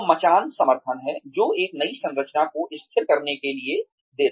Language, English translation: Hindi, So, scaffolding is the support, that one gives, in order to, stabilize a new structure